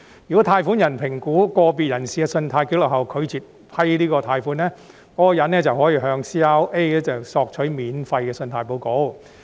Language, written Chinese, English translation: Cantonese, 如果貸款人在評估個別人士的信貸紀錄後拒絕批出貸款，則該名人士可向 CRA 免費索取信貸報告。, If a lender refuses to grant loans after assessing an individual applicants credit record the applicant may obtain a free credit report from CRA